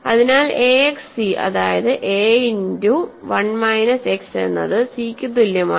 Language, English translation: Malayalam, So, ax c, that means, a times 1 minus x is equal to c